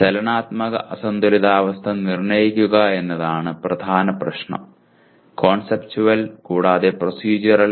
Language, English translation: Malayalam, Determine dynamic unbalanced conditions is the main issue Conceptual and procedural